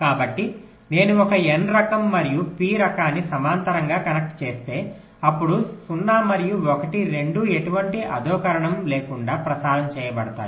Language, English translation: Telugu, so if i connect an n type and p type in parallel, then both zero and one will be transmitted without any degradation